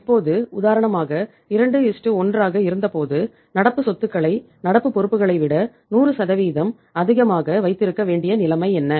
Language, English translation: Tamil, Now for example when it was 2:1 so what was the situation that we had to keep current assets 100% more than the current liabilities